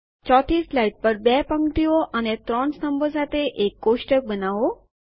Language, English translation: Gujarati, On the 4th slide, create a table of 2 rows and three columns